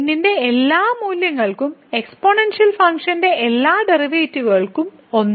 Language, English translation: Malayalam, So, for all values of all the derivatives of this function exponential function is 1